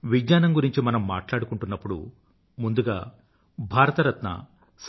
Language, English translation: Telugu, When we talk about Science, the first name that strikes us is that of Bharat Ratna Sir C